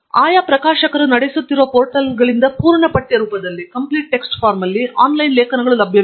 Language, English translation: Kannada, Online articles are also available in a full text form from portals that are run by the respective publishers